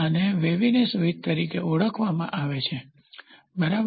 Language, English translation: Gujarati, This is called as a waviness width, ok